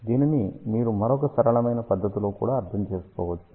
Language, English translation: Telugu, You can also understand this in another simpler manner